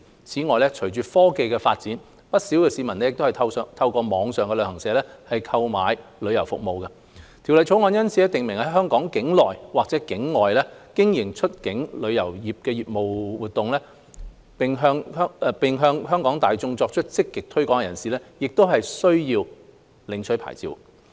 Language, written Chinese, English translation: Cantonese, 此外，隨着科技發展，不少市民透過網上旅行社購買旅遊服務，《條例草案》因此訂明在香港境內或境外經營出境旅遊業務活動，並向香港大眾作出積極推廣的人士，亦須領取牌照。, Besides with the advancement of technologies many people purchase travel services through online travel agents . Thus the Bill provides that persons who carry on any outbound travel business activities in Hong Kong or from a place outside Hong Kong and actively market such business activities to the public of Hong Kong will be required to obtain licences